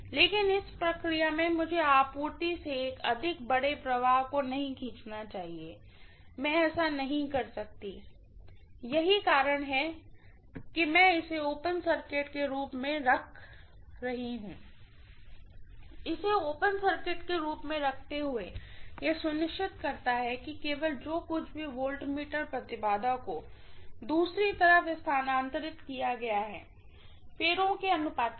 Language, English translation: Hindi, But in the process I should not be drawing excessively large current from the supply, I cannot do that, that is the reason why I am keeping this as open circuit, keeping this as open circuit ensures that only whatever is the voltmeter impedance is transferred over to the other side, of course with the turn’s ratio